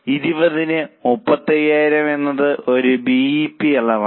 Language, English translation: Malayalam, So, 35,000 upon 20 is a BEP quantity